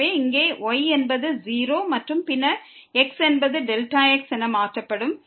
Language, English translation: Tamil, So, here is 0 and then, x will be replaced by delta